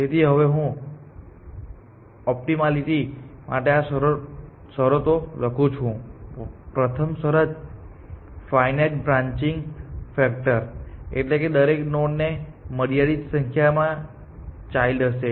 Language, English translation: Gujarati, So, let me write this conditions for optimality, the first condition is finite branching factor every node will have a finite number of children essentially